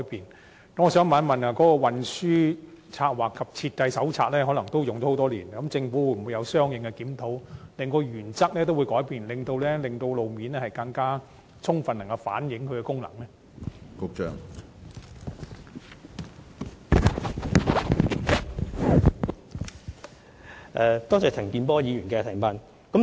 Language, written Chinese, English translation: Cantonese, 因此，我想詢問政府，《運輸策劃及設計手冊》已使用多年，當局會否作出相應檢討，更改當中所訂原則，以便更充分反映路面交通工具的功能？, I therefore would like to ask the Government Given that the Transport Planning and Design Manual has been in use for many years whether a review of the Manual will be undertaken accordingly to revise the principles laid down therein so as to reflect more fully the functions of road - based transport modes?